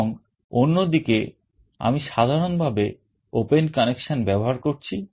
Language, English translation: Bengali, And on the other side I am using the normally open connection